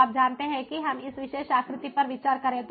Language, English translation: Hindi, so, you know, let us consider this particular figure